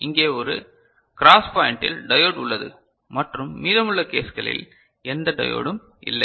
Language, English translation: Tamil, So, here there is a, in the cross point, diode is there right and rest of the cases no diode is present